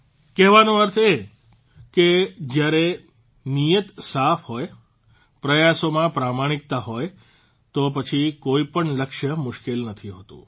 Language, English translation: Gujarati, What I mean to say is that when the intention is noble, there is honesty in the efforts, no goal remains insurmountable